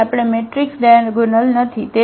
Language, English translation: Gujarati, So, the given matrix is not diagonalizable